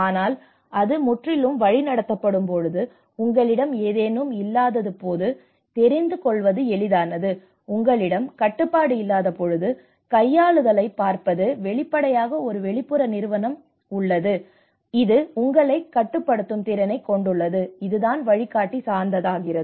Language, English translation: Tamil, But now if you see if you when it is guided completely you know when you do not have, if you look at the manipulation because when you do not have a control, obviously there is an external agency which have an efficiency to control you and that is where it becomes a guided